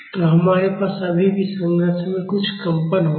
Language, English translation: Hindi, So, we will still have some vibration in the structure